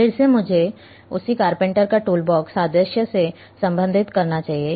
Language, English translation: Hindi, Again, let me relate with the same carpenter’s toolbox analogy